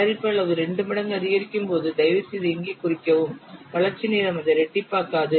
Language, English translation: Tamil, When the product size increases two times, please mark here the development time does not double it